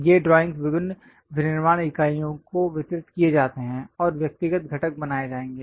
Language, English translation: Hindi, It will be distributed; these drawings will be distributed to variety of manufacturing units and individual components will be made